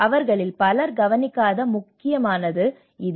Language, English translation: Tamil, This is the most important which many of them does not look into it